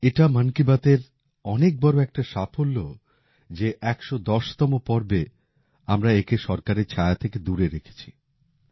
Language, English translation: Bengali, It is a huge success of 'Mann Ki Baat' that in the last 110 episodes, we have kept it away from even the shadow of the government